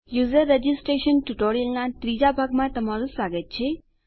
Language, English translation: Gujarati, Welcome to the 3rd part of the User Registration tutorial